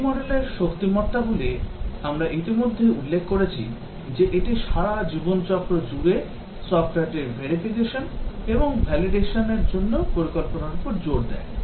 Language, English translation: Bengali, The V model strengths we already mentioned that it emphasize planning for verification and validation of the software throughout the life cycle